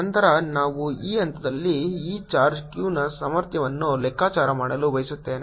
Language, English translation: Kannada, then we wish to calculate the potential of this charge q at this point